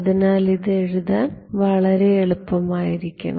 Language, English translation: Malayalam, So, this should be very easy to write down